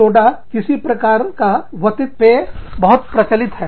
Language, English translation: Hindi, Sodas, any kind of aerated drinks, are very popular